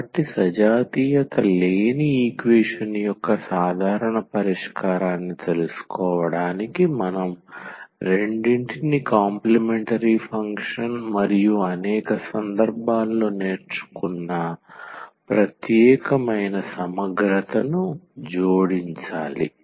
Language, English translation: Telugu, So, to find out the general solution of the non homogeneous equation we have to just add the two the complimentary function and the particular integral which we have learned in many situations